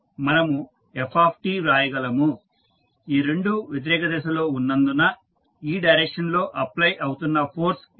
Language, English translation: Telugu, We can write f t, so that is the force which is applying in this direction since these two are in the opposite direction